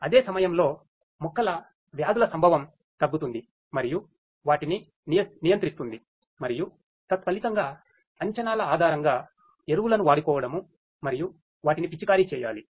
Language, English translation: Telugu, And at the same time decrease the incidences of the plant diseases and control them and consequently based on the predictions optimally use the fertilizers and spray them